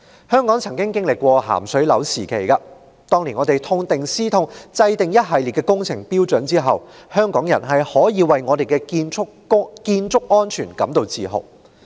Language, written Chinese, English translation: Cantonese, 香港曾經歷"鹹水樓"時期，在政府當年痛定思痛，制訂一系列工程標準後，香港的建築安全足教香港人引以自豪。, Hong Kong had gone through the episode of seawater buildings . After much reflections on the painful lesson the Government formulated a series of works standards which paved the way for a safety record of Hong Kongs constructions in which Hong Kong people can take pride